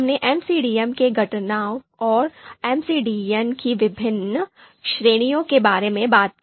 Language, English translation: Hindi, We talked about the components of MCDM and then different categories of MCDM